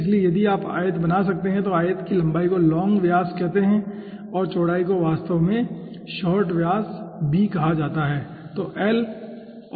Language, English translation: Hindi, so if you can draw the rectangle, then length of the rectangle is called long, diameter l, and the breadth is actually called short, diameter b